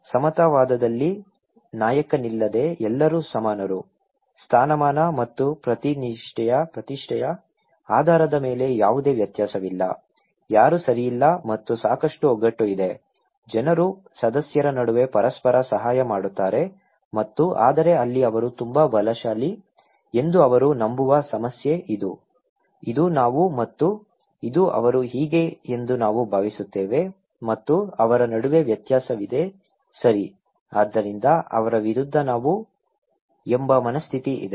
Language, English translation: Kannada, In case of egalitarian, it is like everybody is equal without there is no leader, there is no variation based on status and prestige, no one is okay and there are a lot of solidarities, people help each other between members, okay and but there is a problem that they believe they have a very strong, we feeling that this is we and this is they so, there is a difference between that we and them, okay so, us versus them mentality is there